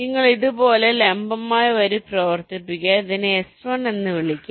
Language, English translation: Malayalam, you run ah perpendicular line like this, call this s one